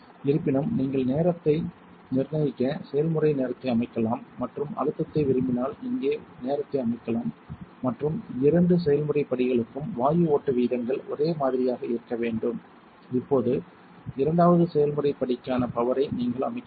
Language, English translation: Tamil, However, you can set the process time to fix time and set the time here if you prefer the pressure and gas flow rates should be the same for both process steps, you should now set the power for the second process step make sure not to exceed 400 watts click once you have done this